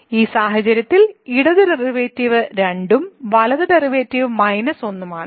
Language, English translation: Malayalam, So, in this case the left derivative is 2 and the right derivative is minus 1